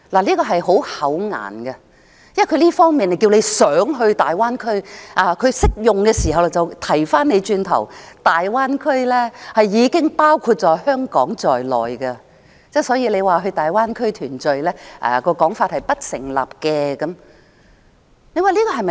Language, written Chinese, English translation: Cantonese, 政府一方面提倡港人到大灣區，但在另一場合，卻說大灣區已經包括香港在內，所以到大灣區團聚的說法是不成立的。, On the one hand the Government encourages Hong Kong people to go to the Greater Bay Area but on the other it says that the Greater Bay Area already includes Hong Kong so the suggestion of reunion in the Greater Bay Area is not valid